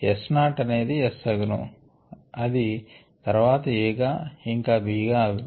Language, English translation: Telugu, is not going to s, which further goes to a and b